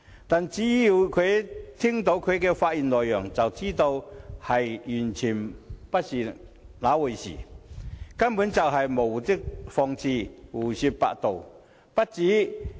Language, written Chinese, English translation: Cantonese, 可是，聽罷他的發言內容，便知道完全不是那回事，他根本是在無的放矢，胡說八道。, However after listening to his speech we can see that this is not the case as he was merely hurling criticisms arbitrarily and talking nonsense